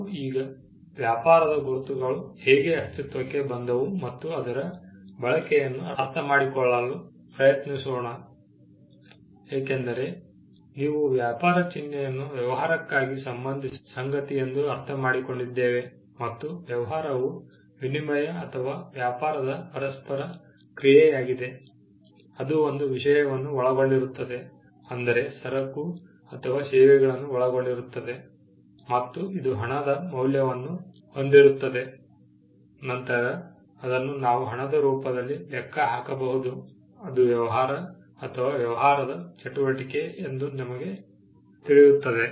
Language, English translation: Kannada, Now, we try to understand the use or how trade marks came into being, because when you understand trade mark as something that is tied to business and a business is an interaction in exchange or a dealing, which involves a thing, a thing could be a good or a service and which comprises of some value; which can be computed in money then, we know that it is a business transaction or a business activity